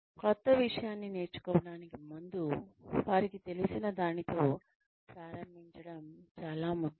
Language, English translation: Telugu, In order to learn something new, it is very important to start with something that one knows